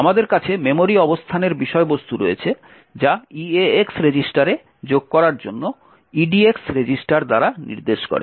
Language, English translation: Bengali, We have the contents of the memory location pointing to by the edx register to be added into the eax register